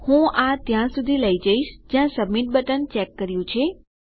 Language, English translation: Gujarati, I want to take this up to just where the submit button is checked